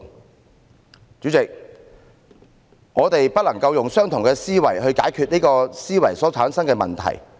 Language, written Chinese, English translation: Cantonese, 代理主席，我們不能用相同的思維去解決這思維所產生的問題。, Deputy President problems cannot be solved by the same level of thinking that created them